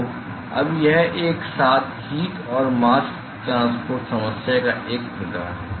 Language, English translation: Hindi, So, now, so, this is a sort of a simultaneous heat and mask transport problem